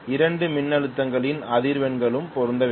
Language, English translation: Tamil, The frequencies of both the voltages should match